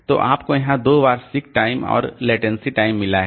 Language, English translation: Hindi, So, so we have got two times here, sick time and latency time